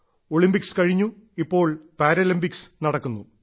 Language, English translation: Malayalam, The events at the Olympics are over; the Paralympics are going on